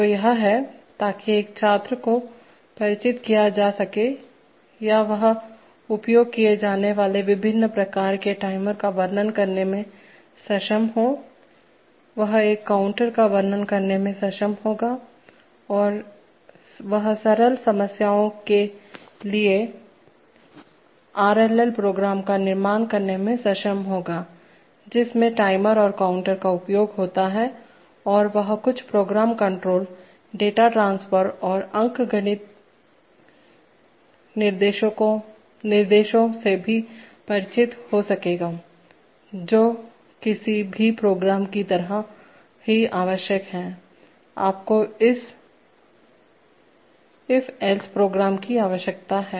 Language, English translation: Hindi, Which is to, so that a student will be familiarized or he will be able to describe various types of timers used in delay ladder logic, he will be able to describe a counter, he will be able to construct RLL programs for simple problems involving these timers and counters, and he will also be able to be familiar with some program control, data transfer and arithmetic instructions which are required in just like in any program, you require if then else statements